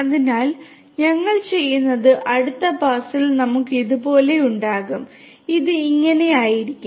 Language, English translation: Malayalam, So, then what we do is we will in the next pass we will have like this 3 4 5 3 4 5 and this one will be like this ok